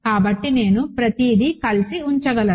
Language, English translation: Telugu, So, I can put everything together